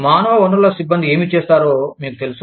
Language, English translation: Telugu, You know, what do human resource personnel do